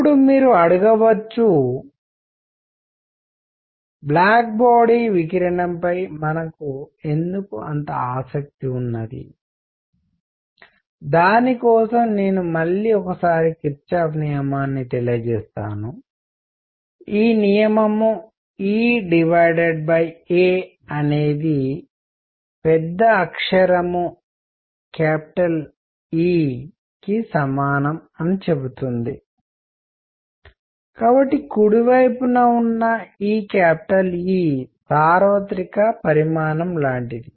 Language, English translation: Telugu, Now, you may ask; why are we interested in black body radiation for that I will again go back to Kirchhoff’s law which says that e over a is equal to capital E, therefore, this E on the right hand side is like universal quantity